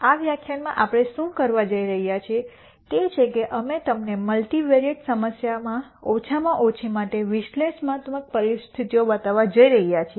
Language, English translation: Gujarati, In this lecture what we are going to do is we are going to show you the analytical conditions for minimum in a multivariate problem